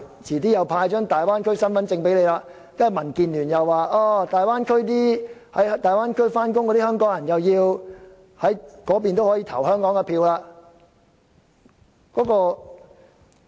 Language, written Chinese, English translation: Cantonese, 遲些再派發大灣區身份證，接着民建聯又說在大灣區上班的香港人應可以在那裏就香港的選舉投票。, Later identity cards for the Bay Area will be issued and DAB said that Hongkongers who work in the Bay Area should be able to cast their ballots there for elections in Hong Kong